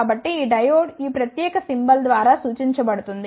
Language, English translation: Telugu, So, this diode is represented by a this particular symbol